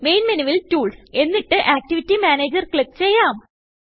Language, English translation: Malayalam, From the Main menu, click Tools and Activity Manager